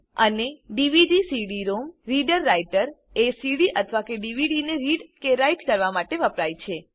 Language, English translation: Gujarati, And the DVD/CD ROM reader writer is used to read or write a CD or a DVD